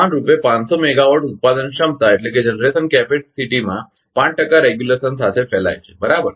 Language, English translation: Gujarati, Evenly spread among 500 megawatt generation capacity with 5 percent regulation right